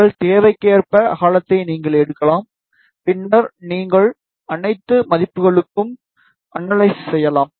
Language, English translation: Tamil, You can take the width as per your requirement, and then you can do the analysis for all the values